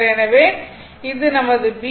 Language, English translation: Tamil, So, this is my b